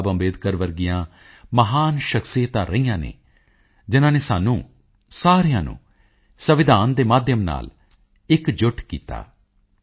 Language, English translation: Punjabi, Babasaheb Ambedkar who forged unity among us all through the medium of the Constitution